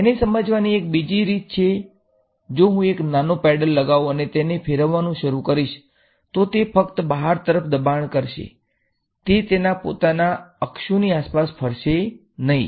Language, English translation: Gujarati, One other way of visualizing it is if I put a small paddle type will it start rotating right, if I put a small paddle here it will just get pushed outwards, it will not rotate about its own axis like this